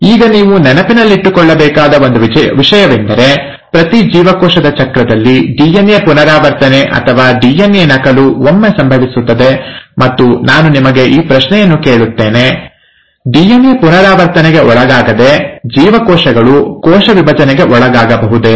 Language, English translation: Kannada, Now one thing I want you to remember is that in every cell cycle, the DNA replication or the DNA duplication happens once, and, I will pose this question to you, that can cells afford to undergo a cell division, without undergoing DNA replication